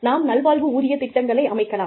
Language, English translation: Tamil, We may institute, wellness pay programs